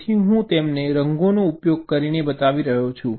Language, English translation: Gujarati, so i am showing them using colours